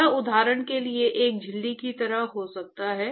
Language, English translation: Hindi, It could be like a membrane for example